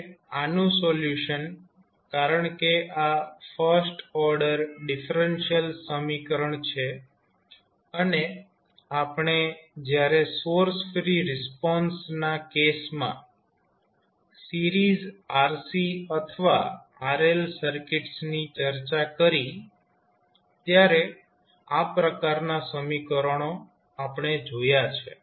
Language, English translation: Gujarati, Now, the solution of this because this is a first order differential equation and we have seen these kind of equations when we discussed the series rc or rl circuits in case of source free response